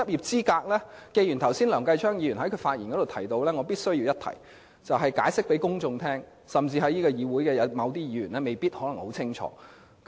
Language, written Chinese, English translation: Cantonese, 針對梁繼昌議員剛才的發言，我必須向公眾解釋執業資格和執業的分別，議會中的某些議員也未必清楚這點。, In response to Mr Kenneth LEUNGs remarks just now I must explain to the public the difference between being qualified to practise as a solicitor and a practising solicitor . Some Members of this Council may also be unclear about that